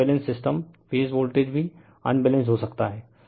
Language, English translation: Hindi, So, unbalanced system phase voltage also may be unbalanced